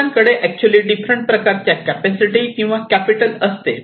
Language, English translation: Marathi, So, they have actually different kind of capitals or capacities